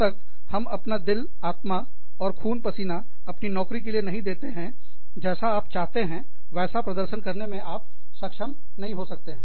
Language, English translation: Hindi, Unless, you give your heart, and soul, and bloods, and sweats, to your job, you may not be able to perform, as well as, you want it to